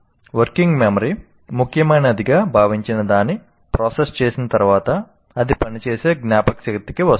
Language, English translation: Telugu, That means after it is processed out, whatever that is considered important, it comes to the working memory